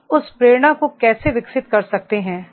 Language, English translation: Hindi, How we can develop that motivation